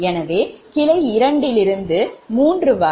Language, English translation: Tamil, so add branch two to three